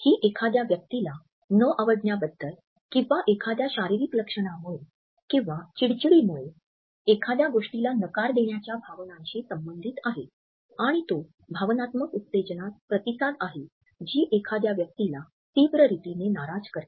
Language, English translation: Marathi, It is more associated with the feelings of disliking somebody or something getting repulsed by an idea by a physical feature, by our surroundings etcetera or by being annoyed and it is a response to the emotional stimulus which displeases a person in an intense manner